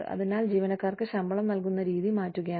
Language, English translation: Malayalam, So, we are changing the manner in which, we pay our employees